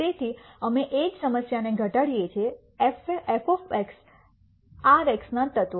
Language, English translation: Gujarati, So, we take the same problem minimize f of x, x element of R